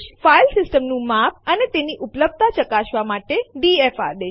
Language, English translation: Gujarati, df command to check the file system size and its availability